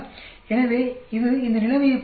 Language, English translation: Tamil, So, it is not like this situation